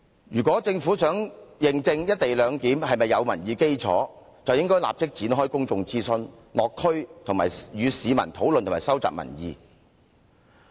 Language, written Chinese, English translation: Cantonese, 如果政府想認證"一地兩檢"是否具民意基礎，便應該立即展開公眾諮詢，落區與市民討論和收集民意。, If the Government really wishes to test whether the co - location arrangement has any popular support it should immediately commence public consultation and conduct district visits to discuss with the public and collect their views